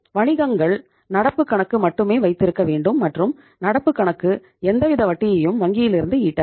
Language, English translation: Tamil, Businesses are supposed to have current accounts and current accounts donít earn any interest from the bank